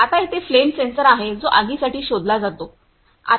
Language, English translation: Marathi, Now here is the flame sensor which are detect for the fire